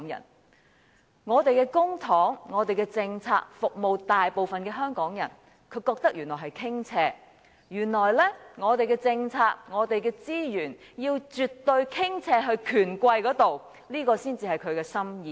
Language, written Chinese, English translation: Cantonese, 原來他認為將我們的公帑和政策服務大部分的香港人是一種傾斜；原來我們的政策和資源要絕對傾斜到權貴，才合他的心意。, It turns out that he considers it a tilt if public coffers and policies are geared towards serving the vast majority of Hong Kong people; it turns out that his intention is for our policies and public coffers to be tilted completely to the rich and powerful